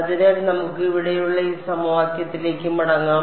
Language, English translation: Malayalam, So now, let us go back to this equation that we have over here